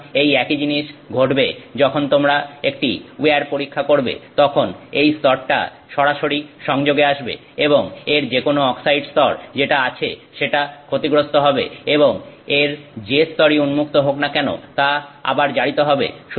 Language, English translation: Bengali, So, the same thing happens when you do a wire test, the layer that is directly in contact, any kind of oxide layer it has, that oxide layer gets damaged and then whatever is the exposed layer that also gets oxidized